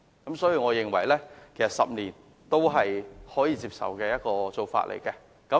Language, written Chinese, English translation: Cantonese, 因此，我認為10年才換證是可以接受的做法。, Hence I consider the requirement for renewal every 10 years to be acceptable